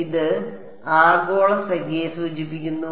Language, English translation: Malayalam, And this refers to the global number